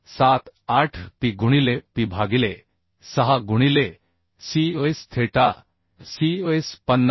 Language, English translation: Marathi, 478P into P by 6 into cos theta cos 50